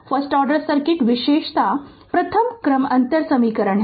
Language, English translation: Hindi, A first order circuit is characterized by first order differential equation